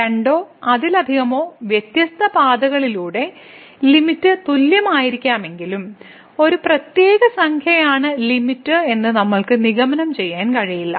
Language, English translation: Malayalam, But getting the limit along two or many different paths though that limit may be the same, but we cannot conclude that that particular number is the limit